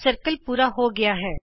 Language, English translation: Punjabi, The circle is complete